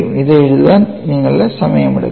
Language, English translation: Malayalam, Take your time to write this down